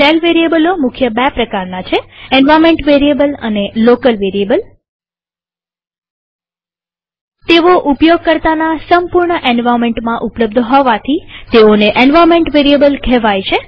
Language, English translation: Gujarati, There are mainly two kinds of shell variables: Environment Variables and Local Variables Environment variables, named so because they are available entirely in the users total environment